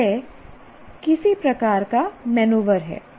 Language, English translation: Hindi, So this is some kind of a maneuvering